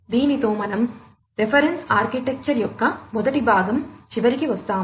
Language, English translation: Telugu, So, with this we come to the end of the first part of the reference architecture